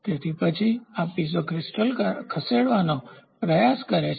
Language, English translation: Gujarati, So, then this Piezo crystal tries to move